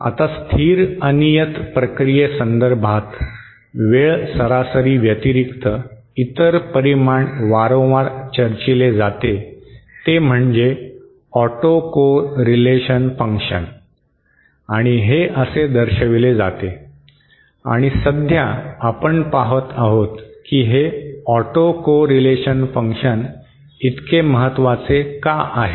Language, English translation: Marathi, Now the time average for a stationary random process another quantity that is frequently discussed is what is called as the autocorrelation function which is given like this and this is describing at the moment why this autocorrelation function is so important